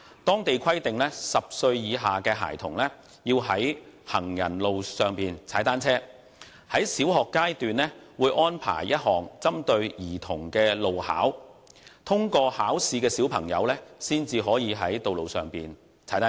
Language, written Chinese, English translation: Cantonese, 當地規定10歲以下的孩童要在行人路上踏單車，在小學階段會安排一項針對兒童的路考，通過考試的兒童才能在道路上踏單車。, Children under the age of 10 are required to ride on the pavements . A road test specific for children is arranged in primary schools and only those who have passed the test are allowed to cycle on roads